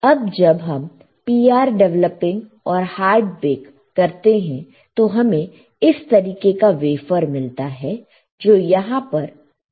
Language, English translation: Hindi, So, when we do PR developing and hard bake; you get this particular wafer which is shown right over here